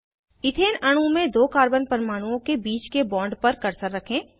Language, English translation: Hindi, Place the cursor on the bond between two carbon atoms in the Ethane molecule